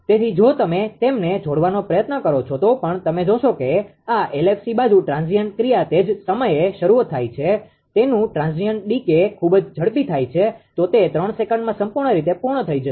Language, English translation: Gujarati, So, if you even even if you try to couple them, you will find that when that actually, this ah LFC side ah transient action starts right by that time its a its a transient decay is much faster it will be fully finished in two 3 second